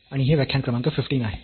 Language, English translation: Marathi, And this is lecture number 15